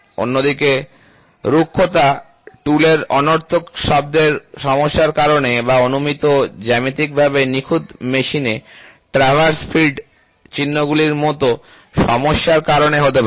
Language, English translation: Bengali, On the other hand, roughness may be caused by problems such as tool chatter or traverse feed marks in a supposedly geometrically perfect machine